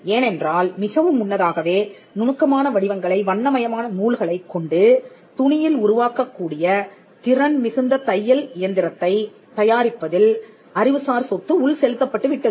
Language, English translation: Tamil, Because the intellectual property went in much before in the creation of the sewing machines, which was capable of doing this intricate design on cloth using colorful thread